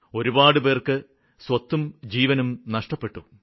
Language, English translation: Malayalam, Many people lost their lives